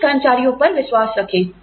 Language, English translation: Hindi, Trust your employees